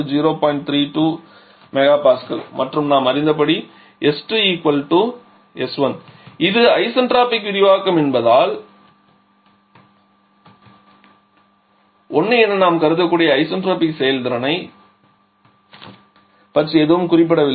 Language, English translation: Tamil, 32 mega Pascal and we know s 2 will be equal to s 1 because this is isentropic expansion nothing is mentioned about isentropic efficiencies we can assume that to be 1